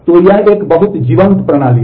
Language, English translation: Hindi, So, it is a very vibrant system